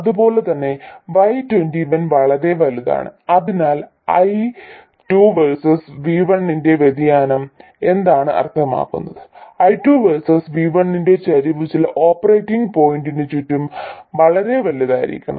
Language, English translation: Malayalam, So what does it mean the variation of Y2 versus V1, the slope of Y2 versus V1 has to be very large around some operating point